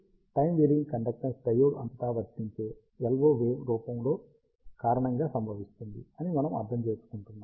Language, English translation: Telugu, So, we understood that the conductance time variance is because of the time varying LO wave form, that is applied across the diode